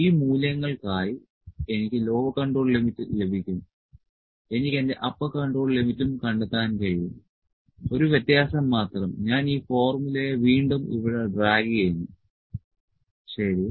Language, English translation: Malayalam, So, I will get my lower control limit for these values, I can even find my upper control limit the only difference I am just dragging this formula here again, ok